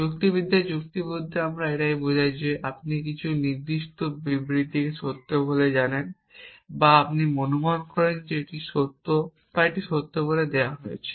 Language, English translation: Bengali, So, this is the reasoning party and this is what we mean by reasoning in logic is that if you know certain set of statements to true or you assume that to be true or that given to be true